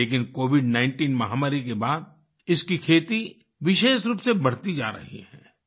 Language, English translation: Hindi, But its cultivation is increasing especially after the COVID19 pandemic